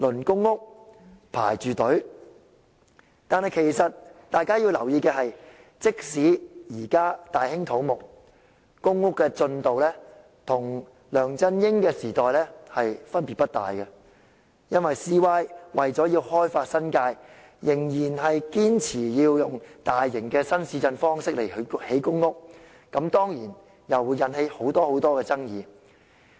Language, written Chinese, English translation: Cantonese, 可是，大家要留意的是，即使現在大興土木，公屋的建屋進度與"前朝"分別不大，因為 CY 為要開發新界，仍然堅持要採用大型新市鎮的方式來興建公屋，此舉當然又會引起很多爭議。, However it is noteworthy that even though there are massive construction projects the current progress of PRH construction is not much different from the previous term of Government because CY insists on building PRH in adherence to the big new town model for the sake of developing the New Territories . Of course such a move will arouse a lot of controversy